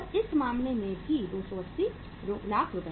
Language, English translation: Hindi, In this case also, 280 lakhs